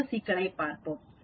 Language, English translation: Tamil, Let us look at another problem